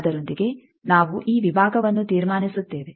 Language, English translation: Kannada, With that we conclude this section